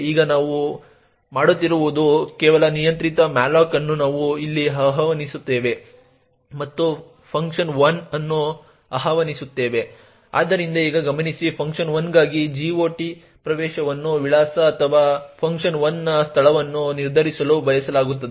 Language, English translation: Kannada, Now what we do is some arbitrary malloc we invoke here and invoke function 1, so note that so now note that the GOT entry for function 1 is used to determine the address or the location of function 1